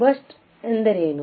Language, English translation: Kannada, What is burst noise